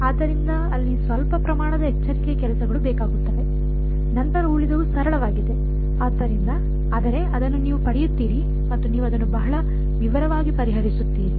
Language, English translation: Kannada, So, some amount of careful work is needed over there, then the rest is simple, but will get it you will solve it in great detail